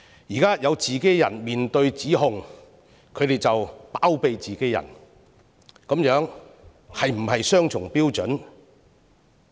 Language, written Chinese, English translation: Cantonese, 現在有自己人面對指控，他們便包庇自己人，這是否雙重標準？, Now they harbour their cronies who are facing allegations . Is this a double standard?